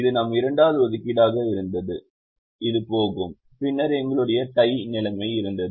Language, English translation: Tamil, this was our second assignment, this would go, and then we had the tie situation